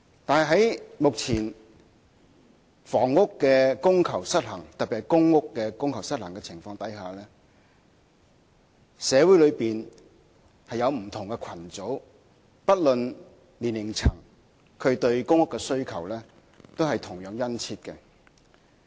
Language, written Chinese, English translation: Cantonese, 但是，目前房屋供求失衡，特別是在公共租住房屋供求失衡的情況下，社會內不同的群組，不論屬何年齡層，對公屋的需求同樣殷切。, However given the prevailing supply - demand imbalance in housing in particular public rental housing PRH different social groups of different ages have the same keen demand on PRH